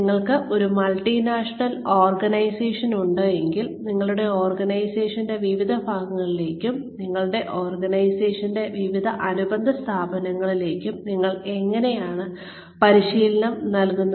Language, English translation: Malayalam, If you have a multinational organization, how do you deliver training to the different parts of your organization, to the different subsidiaries of your organization